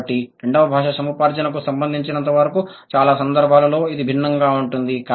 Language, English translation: Telugu, So, this is how it is different in most of the cases as far as the second language acquisition is concerned